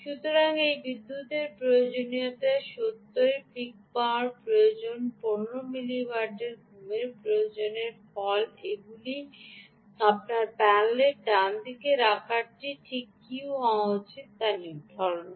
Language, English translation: Bengali, so this power requirement of ah peak power requirement of a seventy ah sleep power requirement of fifteen milli watt, all of this leads to deciding what should be the size of your panel, right